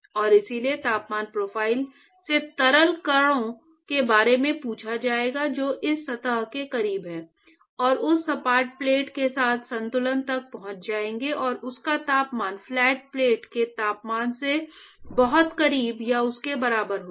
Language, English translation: Hindi, And, so, the temperature profile will be asked fluid particles which is close to this surface, would actually quickly reach equilibrium with that flat plate and the temperature of that will be very close to or equal to the temperature of the flat plate itself